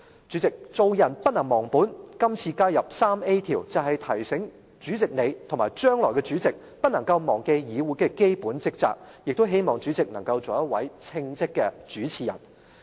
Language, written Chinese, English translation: Cantonese, 主席，做人不能忘本，這次加入第 3A 條，就是要提醒主席你，以及將來的主席，不能夠忘記議會的基本職責，亦希望主席能夠做一位稱職的主持人。, President we should never forget the origin . The present addition of Rule 3A is to remind you the incumbent President as well as the future Presidents to bear in mind this fundamental duty of the legislature . I hope the President will act as a competent chairperson